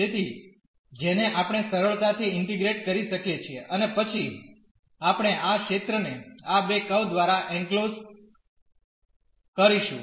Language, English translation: Gujarati, So, which we can easily integrate and then we will get the area enclosed by these two curves